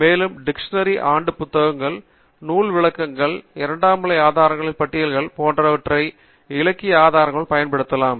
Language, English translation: Tamil, And tertiary sources like dictionaries, year books, bibliographies, lists of secondary sources also can be used as sources of literature